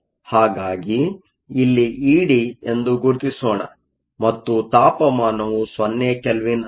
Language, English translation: Kannada, So, let me mark that here as e d and the temperature is 0 Kelvin